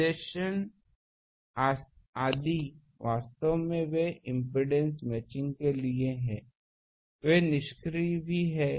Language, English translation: Hindi, , actually they are for impedance matching also that they are passive ones